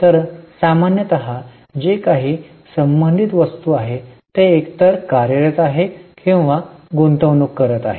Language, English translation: Marathi, So, whatever is a relevant item, normally it is either operating or investing